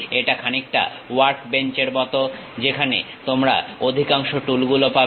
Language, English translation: Bengali, This is more like a workbench where you get most of the tools